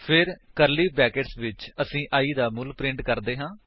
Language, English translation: Punjabi, Then, in curly brackets, we will print the value of i